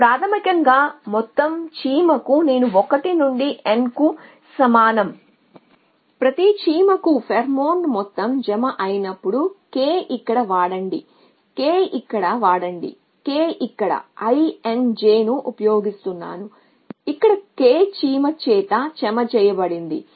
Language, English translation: Telugu, This is basically the sum fall i is equal to 1 to n for each of the ants the amount of pheromone deposited while in the k let use k here were using i n j here deposited by the k ant essentially